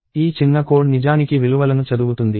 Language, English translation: Telugu, What this piece of code does is actually read values